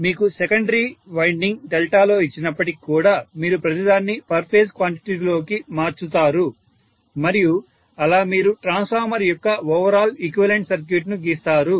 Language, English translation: Telugu, So even if you are given a secondary winding in delta you would again like to convert everything into per phase quantity and that is how you will draw the overall equivalent circuit of the transformer and when we are converting delta into per phase